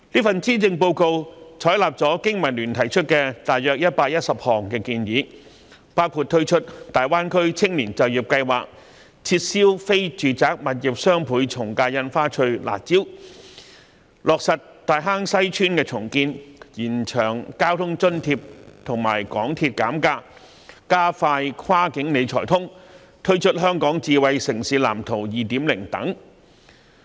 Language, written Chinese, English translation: Cantonese, 施政報告採納了香港經濟民生聯盟提出的約110項建議，包括推出大灣區青年就業計劃、撤銷非住宅物業雙倍從價印花稅的"辣招"、落實大坑西邨重建、延長交通津貼及港鐵減價安排、加快落實"跨境理財通"、推出《香港智慧城市藍圖 2.0》等。, The Policy Address has adopted about 110 suggestions made by the Business and Professionals Alliance for Hong Kong BPA including launching the Greater Bay Area Youth Employment Scheme abolishing the harsh measure of the Doubled Ad Valorem Stamp Duty on non - residential property transactions taking forward the redevelopment plan of Tai Hang Sai Estate extending the measures of providing public transport fare subsidy and MTR fare discount expediting the implementation of the cross - boundary wealth management connect scheme releasing the Smart City Blueprint for Hong Kong 2.0 etc